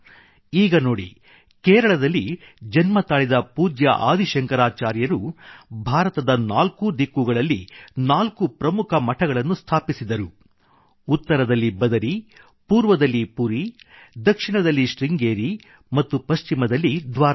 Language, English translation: Kannada, Now, for example His Holiness Adi Shankaracharya was born in Kerala and established four important mathas in all four directions of India… Badrikashram in the North, Puri in the East, Sringeri in the South and Dwarka in the West